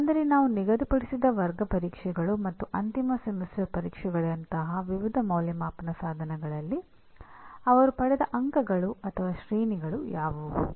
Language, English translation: Kannada, Like what are the marks that he obtained or grades that he obtained in various assessment instruments which we set; which will include the class tests and end semester exams